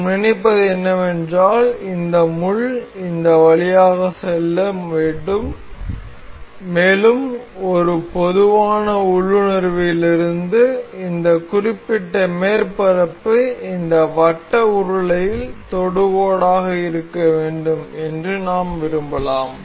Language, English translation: Tamil, So, what we intend is this pin is supposed to move through this lot, and from a general intuition we can we wish that this particular surface is supposed to be tangent on this circular cylinder